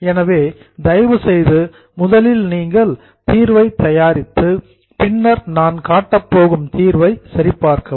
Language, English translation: Tamil, So please prepare the solution first and then check it with the solution which I am going to show